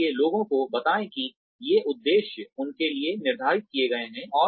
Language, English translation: Hindi, So, tell people that, these objectives have been set for them